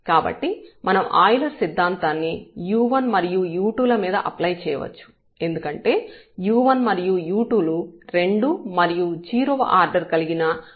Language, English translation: Telugu, So, the Euler’s theorem we can apply on u 1 and u 2 because they are the homogeneous functions of order 2 and 0